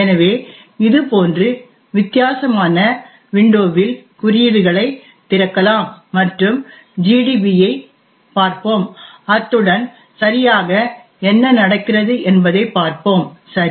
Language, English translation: Tamil, So let us open the code in a different window like this and we will also look at gdb and see exactly what is happening, ok